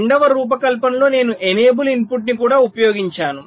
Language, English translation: Telugu, in the second design i have also used an enable input